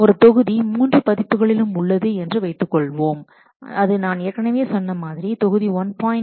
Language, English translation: Tamil, Suppose a module is present in three versions, this I have let told you, like module 1